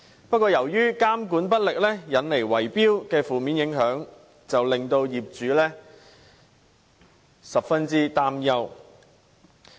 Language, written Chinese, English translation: Cantonese, 不過，由於監管不力，因而產生圍標的負面影響，令業主十分擔憂。, But ineffective regulation has resulted in bid - rigging the adverse effects of which are most worrying to the owners